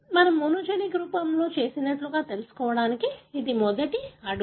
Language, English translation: Telugu, This is the first step, like what we did in monogenic form